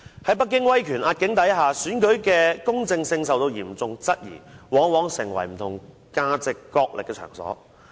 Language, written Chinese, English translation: Cantonese, 在北京威權壓境的情況下，選舉的公正性受到嚴重質疑，往往成為不同價值角力的場所。, Under the tremendous pressure from the Beijing authorities the justice of election in Hong Kong has been seriously called into question and an election is often turned into a wrestling ground of different values